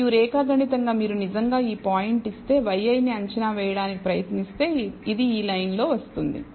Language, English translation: Telugu, And geometrically if you actually try to estimate y i given this point it will fall on this line